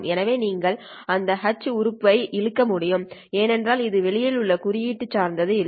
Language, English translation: Tamil, So you can pull that H element because it does not depend on the index I outside of this case